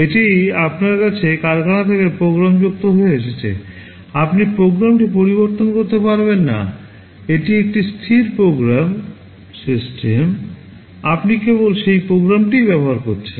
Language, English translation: Bengali, It comes to you factory programmed, you cannot modify the program, it is a fixed program system you are only using that program